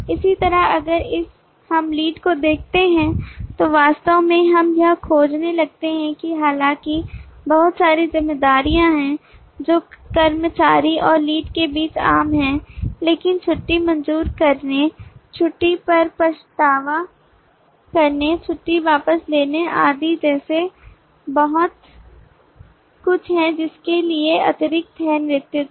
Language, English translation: Hindi, similarly if we look at the lead then actually we start finding that though there are lot of responsibilities which are common between the employee and the lead, but there is a lot like approving leave, regretting leave, revoking leave and so on which are additional for the lead